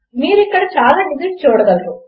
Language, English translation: Telugu, So you can see quite a lot of digits here